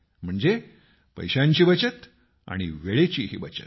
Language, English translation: Marathi, That is saving money as well as time